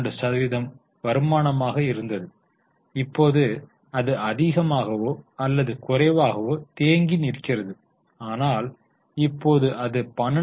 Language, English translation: Tamil, So, PAT32% was the return and now it has more or less stagnant, it has become 12